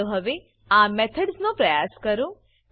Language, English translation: Gujarati, Now let us try out these methods